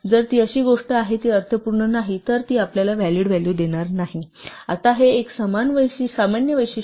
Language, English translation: Marathi, If it is something which does not make sense it will not give you a valid value, now this is a general feature